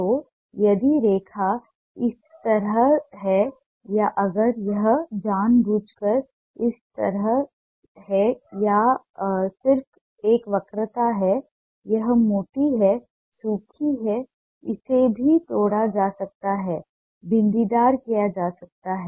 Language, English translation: Hindi, so if the line is like this, or if it is purposely like this, or it's just a curvature, its thick, dry